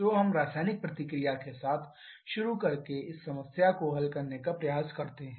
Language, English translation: Hindi, So, let us try to solve this problem by starting with the chemical reaction